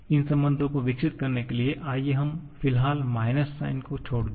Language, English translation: Hindi, To develop these relations, let us just drop the minus sign for the moment